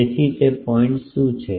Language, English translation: Gujarati, So, what is that point